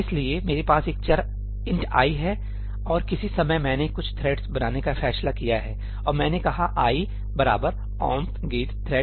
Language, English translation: Hindi, I have a variable ëint ií and at some point of time I decided to create some threads and I said ëi is equal to omp get thread num()í